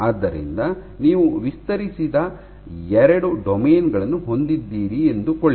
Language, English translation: Kannada, So, you have two domains that are not stretched